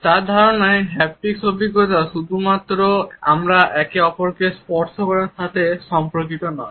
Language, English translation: Bengali, In her idea the haptic experience is not only related with the way we touch each other